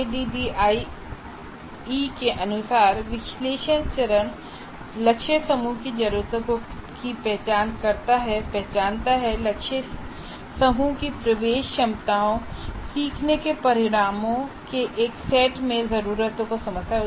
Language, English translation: Hindi, The analysis phase as for ADD identifies the needs of the target group and identify the entry capabilities of the target group and translate the needs into a set of learning outcomes